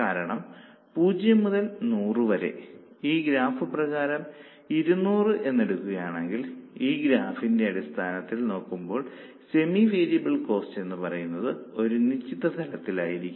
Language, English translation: Malayalam, Because from 0 to 100 or let us say 200 as per this graph, semi variable costs are at a particular level